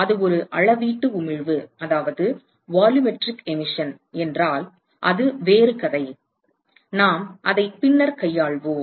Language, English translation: Tamil, That if it is a volumetric emission, that is a different story; we will deal with it later